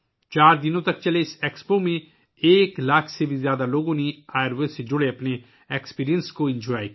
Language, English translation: Urdu, In this expo which went on for four days, more than one lakh people enjoyed their experience related to Ayurveda